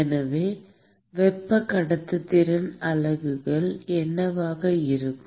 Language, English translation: Tamil, Thermal conductivity units are …